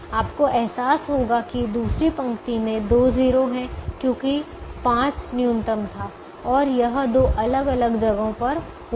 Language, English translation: Hindi, you'll realize that the second row has two zeros because five was the minimum and it occurred in two different places